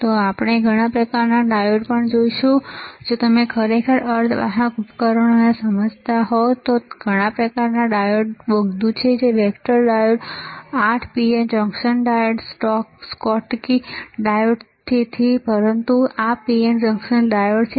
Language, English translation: Gujarati, And we will also see several kind of diodes, if you if you really understand semiconductor devices then there are several kind of diodes tunnel diode, where vector diode 8 pn junction diode schottky diode so, but this is the PN junction diode